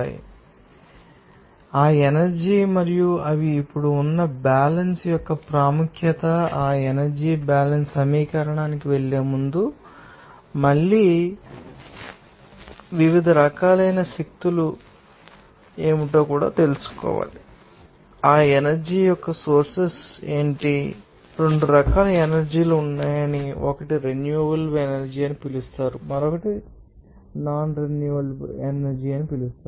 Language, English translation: Telugu, You know, that energy and it is also importance of that balance they are now, before going to that energy balance equation again you have to know what are the different types of energies also they are and what are the sources of that energy, you know that there are 2 types of energy one is called renewable energy another is called non renewable energy